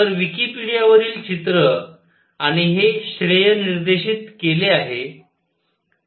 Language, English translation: Marathi, So, picture from Wikipedia and acknowledge this here